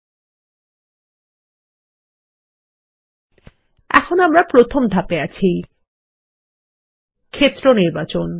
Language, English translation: Bengali, We are in Step 1 Field Selection